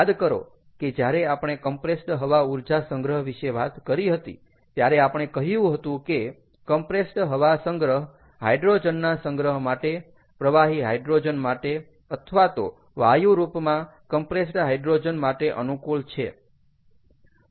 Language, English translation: Gujarati, remember, when we talked about compressed air energy storage, we said that compressed air storage is competing with storage of hydrogen, liquid liquefied hydrogen or compressed hydrogen as gas